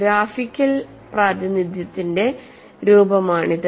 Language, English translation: Malayalam, This is one form of graphical representation